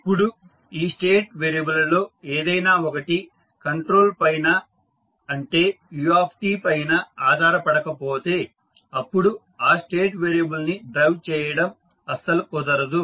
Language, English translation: Telugu, Now, if any one of this state variables is independent of the control that is u t there would be no way of driving this particular state variable because the State variable is independent of control